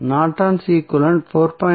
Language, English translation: Tamil, Norton's equivalent would be 4